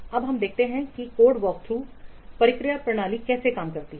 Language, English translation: Hindi, Now let's see how this code work through processes works